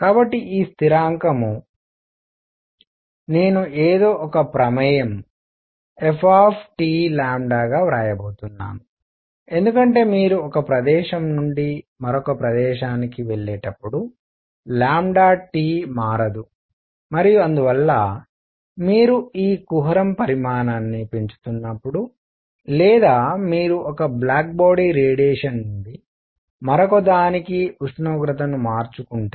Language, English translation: Telugu, So, this constant; I am going to write as some function f of lambda T because lambda T does not change as you go from one place to the other and therefore, as you increase this cavity size or if you change the temperature from one black body radiation to the other